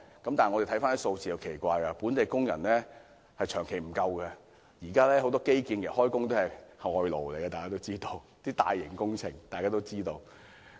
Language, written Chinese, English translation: Cantonese, 但是，回看數字是很奇怪的，本地工人數目長期不足，大家都知道現時為大型基建工程工作的也是外勞。, But then if we look at the statistics we will see that while there is a perennial labour shortage all the infrastructure construction works are in fact undertaken by imported workers